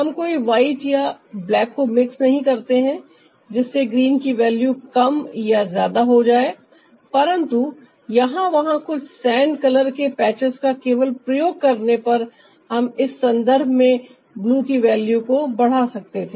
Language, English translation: Hindi, we are not mixing ah any white or black to ah lower or heighten the value of the green, but simply by using some sand color patch here and there we could ah heighten the value of blue